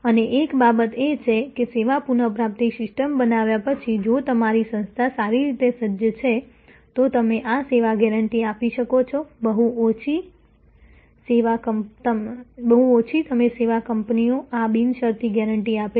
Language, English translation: Gujarati, And one of the things that if your organization is well equipped after handling creating the service recovery system, then you can give this service guarantee, very few you service companies give this unconditioned guarantee